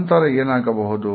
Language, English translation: Kannada, And then what happens